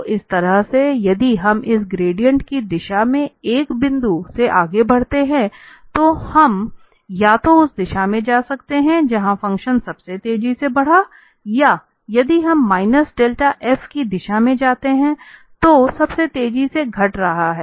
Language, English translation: Hindi, So, in this way if we move from a point in the direction of this gradient, we can either go in the direction, where the function is increasing most rapidly or decreasing most rapidly if we go in the direction of minus del f